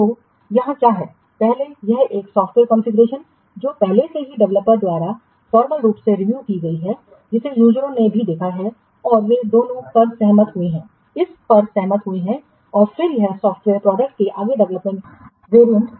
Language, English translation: Hindi, So, here what first this a software configuration that has already been formally reviewed by the developer also the users have seen it and they have agreed on both of them have agreed upon it and then it can serve as a basis for further development of the software products